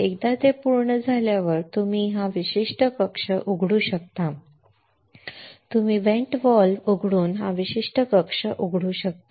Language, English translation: Marathi, Once it is done you can open this particular chamber you can open this particular chamber by opening the vent valve